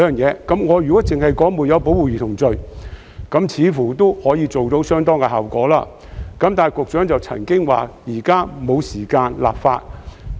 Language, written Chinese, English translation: Cantonese, 我認為，如能訂立"沒有保護兒童罪"，似乎亦有相當效用，但局長卻表示現在沒有時間立法。, It seems to me that the introduction of the offence of failure to protect a child is quite an effective measure but the Secretary now says that we do not have time for legislation